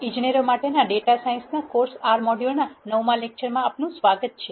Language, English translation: Gujarati, Welcome to lecture 9 in the R module of the course, data science for engineers